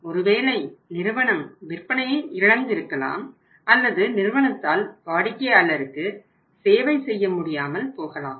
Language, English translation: Tamil, Maybe the company is losing sales or maybe the company is, is not able to serve the the clients